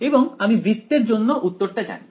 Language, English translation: Bengali, And we know the answer for a circle